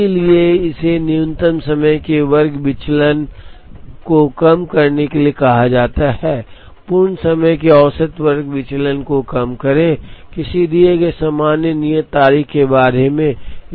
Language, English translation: Hindi, So, this is called minimizing mean square deviation of completion times, minimize mean square deviation of completion times, about a given common due date